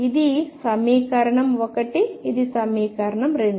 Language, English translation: Telugu, This is equation 1 this is equation 2